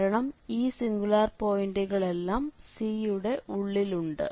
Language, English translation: Malayalam, So, in this case all these singular points are lying inside the circles